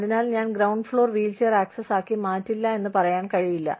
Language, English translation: Malayalam, So, i will not make the ground floor, wheelchair accessible